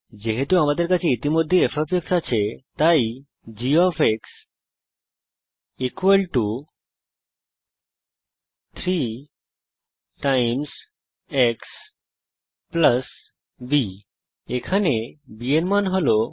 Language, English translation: Bengali, Since we already have f i will use g= 3 x + b the value of b here is 2